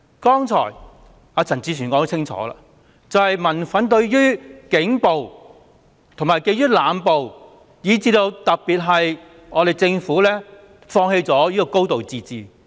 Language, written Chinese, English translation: Cantonese, 剛才陳志全議員清楚指出，民憤在於警暴及濫捕，以至政府放棄了"高度自治"。, As Mr CHAN Chi - chuen clearly pointed out just now the anger of the people originates from the Polices violence and indiscriminate arrests as well as the Governments abandonment of a high degree of autonomy